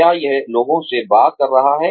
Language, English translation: Hindi, Is it talking to people